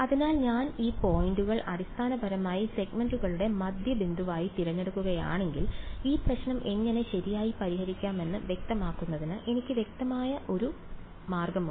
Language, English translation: Malayalam, So, what I am going to do is if I choose these points basically to be the midpoints of the segments, then I have a very clear unambiguous way of specifying how to solve this problem right